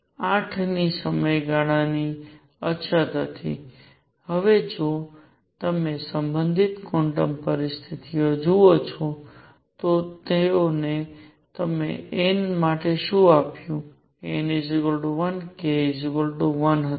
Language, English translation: Gujarati, There was a periodicity of 8, now if you look at the corresponding quantum conditions, what they gave you for n equals 1 was k equal to 1